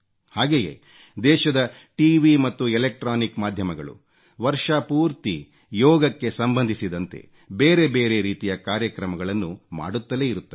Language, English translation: Kannada, Usually, the country's Television and electronic media do a variety of programmes on Yoga the whole year